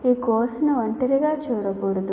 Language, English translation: Telugu, No course should be seen in isolation